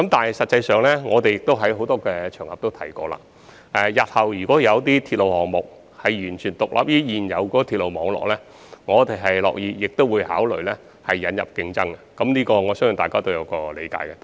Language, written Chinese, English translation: Cantonese, 事實上，我們在不同場合也提過，如果日後有些鐵路項目能夠完全獨立於現有的鐵路網絡，我們樂意考慮引入競爭，我相信大家都是理解的。, As a matter of fact we have mentioned on various occasions that in case there is any railway project that is completely independent of the existing railway network in the future we would be happy to consider introducing competition which I believe is understandable